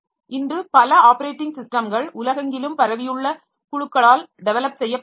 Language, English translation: Tamil, Many of the operating systems today the development is contributed by groups spread over all over the world